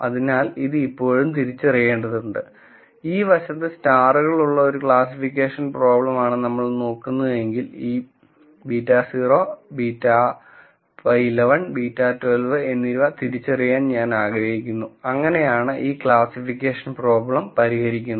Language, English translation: Malayalam, So, this still needs to be identified and obviously, if we are looking at a classification problem where I have this on this side and stars on this side, I want to identify these beta naught beta 1 beta 1 1 and beta 1 2 such a way this classification problem is solved